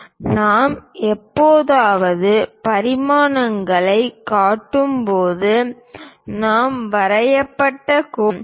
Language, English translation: Tamil, When we are showing dimensions occasionally, we write draw lines